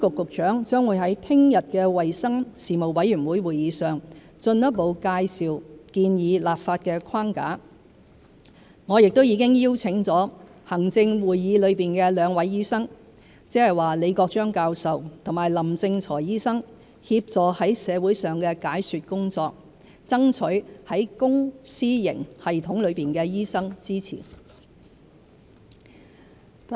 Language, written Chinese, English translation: Cantonese, 食物及衞生局局長將會在明天的衞生事務委員會會議上進一步介紹建議立法的框架，我亦已邀請行政會議內兩位醫生，即李國章教授和林正財醫生，協助在社會上的解說工作，爭取在公私營系統內的醫生支持。, The Secretary for Food and Health will further introduce the proposed legislative framework at the meeting of the Legislative Council Panel on Health Services tomorrow 5 February . I have also invited two doctors from ExCo ie . Professor the Honourable Arthur LI and Dr the Honourable LAM Ching - choi to assist in explaining the case for change to the public and enlist the support of doctors in both the public and private sectors